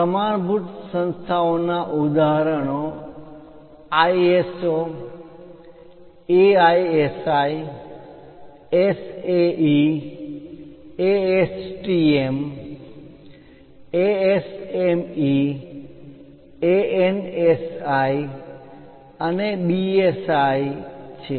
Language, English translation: Gujarati, Examples for standard organizations are ISO, AISI, SAE, ASTM, ASME, ANSI and BIS